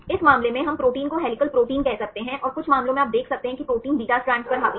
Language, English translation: Hindi, In this case we can say the proteins as helical proteins, and some cases you can see the protein is dominated by beta strands